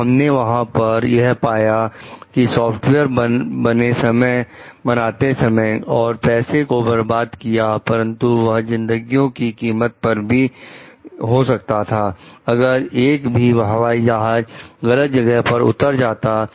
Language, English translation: Hindi, So, what we find over there the software bug wasted time and money, but it could have cost lives also if the plan a plane would have landed in a wrong place